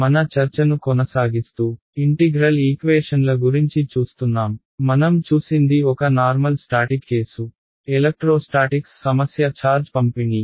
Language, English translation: Telugu, Continuing our discussion that we have been having about integral equations, what we looked at was a simple static case electrostatics problem we found out the charge distribution